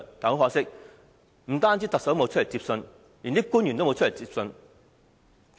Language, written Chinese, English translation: Cantonese, 很可惜，不僅特首沒有出來接收，連官員也沒有出來。, Unfortunately not only did the Chief Executive not come out to receive it no public officer did so neither